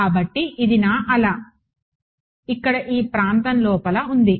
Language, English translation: Telugu, So, this is my wave is inside this region over here